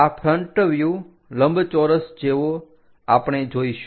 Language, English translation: Gujarati, This is the front view like a rectangle we will see